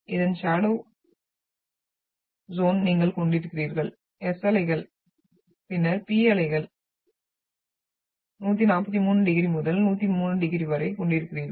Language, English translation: Tamil, And you are having the shadow zone of the this is S waves and then you are having P waves are having from 143 degrees to 103 degrees